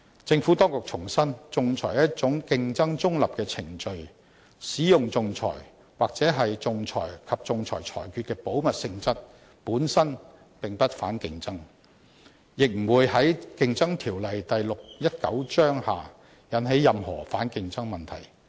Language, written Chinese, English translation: Cantonese, 政府當局重申，仲裁是一種競爭中立的程序，使用仲裁、或仲裁及仲裁裁決的保密性質，本身並不反競爭，亦不會在《競爭條例》下引起任何反競爭問題。, The Administration reiterates that arbitration is a competition - neutral procedure . The use of arbitration or the confidentiality of arbitration and arbitral awards is not in itself anti - competitive; nor does it in itself raise any issue of anti - competition under the Competition Ordinance Cap